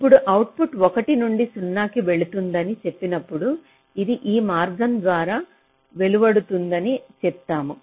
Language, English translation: Telugu, now, when i say that the output is going from one to zero, we say that it is discharging via this path